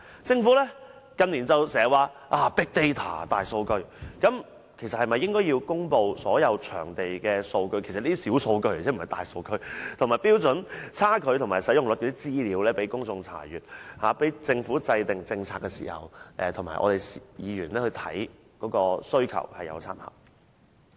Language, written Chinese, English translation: Cantonese, 政府近年經常提及大數據，其實政府應該公布所有場地的數據——這些是小數據而不是大數據，以及與《規劃標準》的差距及使用率等資料，讓公眾查閱，以及供政府制訂政策時參考及議員查看需求。, Over the past few years the Government often mentions big data . In fact the Government should make public the data on all venues these are only small data not big data . Moreover it should also make available the outstanding quantity to measure up to the standards in HKPSG and the usage rates for public inspection as well as for policy making by the Government and for reference by Members